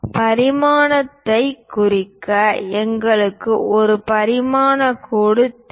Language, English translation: Tamil, To represent dimension, we require a dimension line